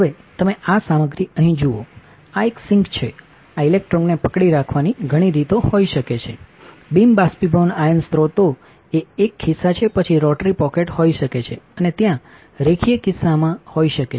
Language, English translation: Gujarati, Now, you see this material here, this is a sink there can be many way of holding this electron be beam evaporation sources one is a single pocket then there can be rotary pocket and there can be linear pocket